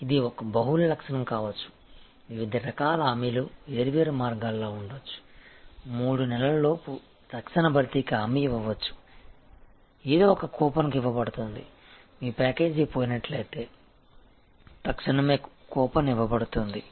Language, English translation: Telugu, It can be multi attribute, there can be separate different path of guarantees of different something can be guaranteed for immediate replacement within 3 months, something can be a coupon will be given, so if your package is lost and the coupon will be given immediately